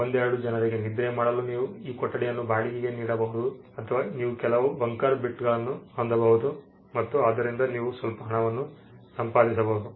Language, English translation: Kannada, You could rent this room out for a couple of people to sleep you can have some bunker bits and you can make some money off of it